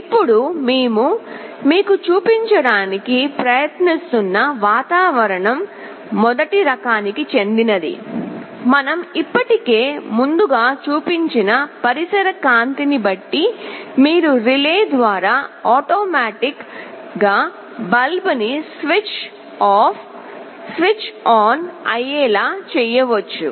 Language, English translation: Telugu, Now the kind of an environment that we are trying to show you is suppose first one is the one that we have already shown earlier depending on the ambient light you can automatically switch on a switch off a bulb through a relay